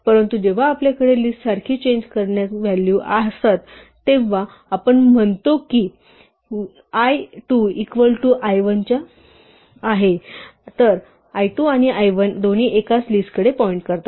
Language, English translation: Marathi, But when we have mutable values like list we say l2 is equal to l1 then l2 and l1 both point to the same list